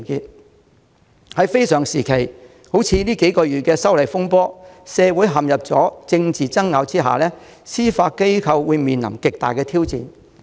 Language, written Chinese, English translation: Cantonese, 在這個非常時期，近數月來發生修例風波，社會陷入政治爭拗，司法機構面臨極大挑戰。, We are now at a very critical time the disturbance arising from the proposed legislative amendment has lasted few months and the community is divided by political disputes the Judiciary is thus facing enormous challenges